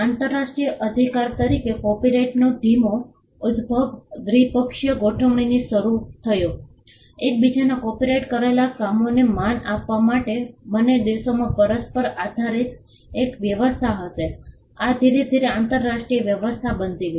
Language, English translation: Gujarati, The slow emergence of copyright as a international right started off with bilateral arrangements; two countries will have an arrangement of based on reciprocity to respect copyrighted works of each other; this slowly became an international arrangement